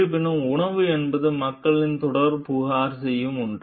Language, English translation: Tamil, So, however, food is something which regularly people complain about